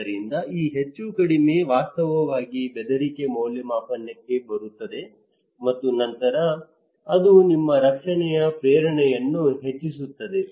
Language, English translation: Kannada, So this plus minus actually coming to threat appraisal and then it is increasing your protection motivation